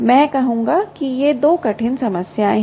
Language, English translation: Hindi, i would say these are two hard problems